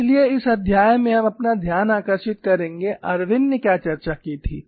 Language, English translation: Hindi, So, in this chapter you will confine our attention to, what was the discussion done by Irwin